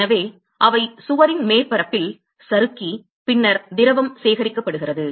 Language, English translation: Tamil, So, they slide along the surface of the wall and then the liquid is collected